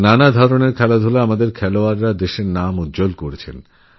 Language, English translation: Bengali, In different games, our athletes have made the country proud